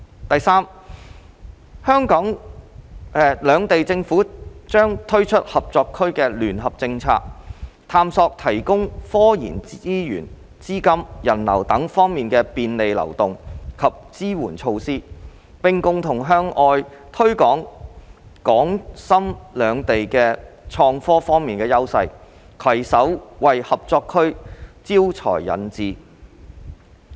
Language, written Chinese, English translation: Cantonese, 第三，兩地政府將推出合作區的聯合政策，探索提供科研資源、資金及人流等方面的便利流動及支援措施，並共同向外推廣港深兩地在創科方面的優勢，攜手為合作區招才引智。, Thirdly the governments on both sides will roll out joint policy for the Cooperation Zone explore to provide facilitation and supportive measures in the aspects of RD resources capital and people flow and join hands to promote their advantages in IT with a view to attracting talents to the Cooperation Zone